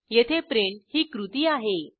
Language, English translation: Marathi, The action here is print